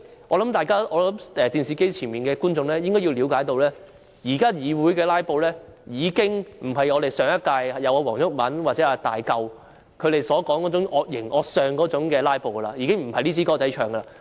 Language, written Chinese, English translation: Cantonese, 我想電視機前的觀眾應該要了解，現時議會的"拉布"已不再是上屆立法會黃毓民或"大嚿"那種惡形惡相的"拉布"，已經不是那回事。, I think viewers watching the live broadcast should understand that filibusters in the Council today are no longer the same as the kind of ferocious filibusters staged by WONG Yuk - man or Hulk in the last Legislative Council